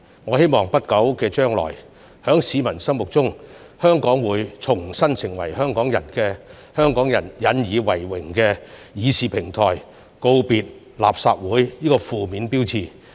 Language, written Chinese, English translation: Cantonese, 我希望在不久將來，在市民心目中，立法會會重新成為香港人引以為榮的議事平台，告別"垃圾會"這個負面標籤。, And in the eyes of the public the Legislative Council will once again become a deliberation platform in which Hong Kong people take pride . At that time we can bid farewell to the negative label of the Rubbish Council